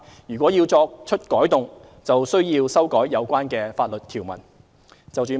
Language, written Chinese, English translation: Cantonese, 如要作出改動，則須要修改有關法律條文。, Any changes to the above require amendments to the relevant legal provisions